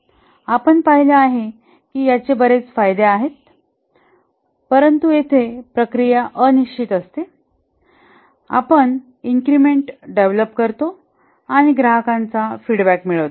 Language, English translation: Marathi, We've seen that it's a lot of advantages but then here the process is unpredictable that is each time we develop an increment deploy deploy and get the customer feedback